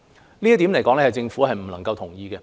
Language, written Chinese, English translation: Cantonese, 這一點，政府不能夠同意。, The Government cannot endorse this proposal